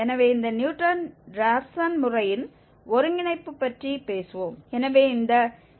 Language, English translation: Tamil, So, let us talk about the convergence of this Newton Raphson method